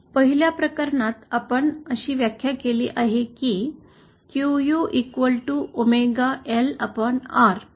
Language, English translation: Marathi, In the 1st case we have defined say QU is equal to omega L upon R